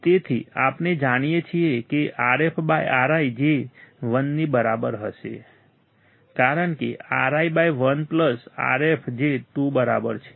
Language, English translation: Gujarati, So, we know that Rf /Ri will be equal to 1, because 1 plus Rf by Ri equals to 2